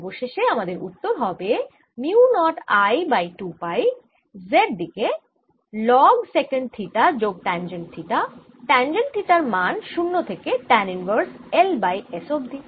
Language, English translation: Bengali, and therefore my answer comes out to be mu naught i over two pi in the z direction log of secant theta plus tangent theta, zero and tan inverse l over s, which i can simplify to: at zero